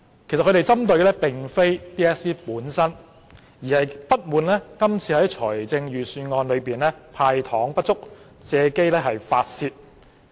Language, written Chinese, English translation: Cantonese, 其實他們針對的並非 DSE 本身，而是不滿今次預算案"派糖"不足，借機發泄。, In fact they targeted not HKDSE per se but the insufficient candies given away by the Budget thereby taking the opportunity to vent their spleen